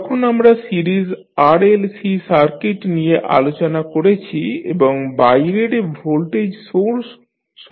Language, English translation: Bengali, When we discussed the series RLC circuit and having the external voltage source connected